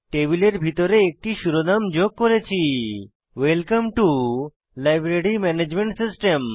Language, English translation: Bengali, Inside the table we have included a heading, Welcome to Library Management System